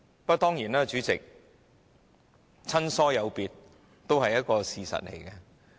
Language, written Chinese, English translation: Cantonese, 不過，主席，親疏有別，當然也是一個事實。, However Chairman the practice of affinity differentiation is of course a fact